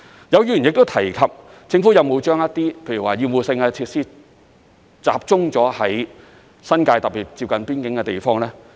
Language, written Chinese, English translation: Cantonese, 有議員亦提及，政府是否把一些厭惡性設施集中在新界，特別是接近邊境的地方呢？, Some Members asked whether the Government intended to put all obnoxious facilities in the New Territories especially in the area near the boundary